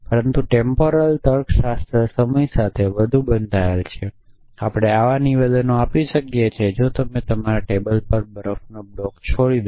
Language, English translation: Gujarati, But temporal logics are even more tied to time you we can make statements like if you leave a block of ice on you table